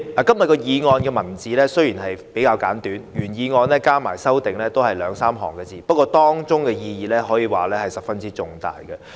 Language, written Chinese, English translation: Cantonese, 代理主席，今天這項議案內容簡短，原議案連同修正案只有兩三行文字，但當中的意義卻十分重大。, Deputy President the motion today is short . The original motion and the amendments are only two or three lines but they are very meaningful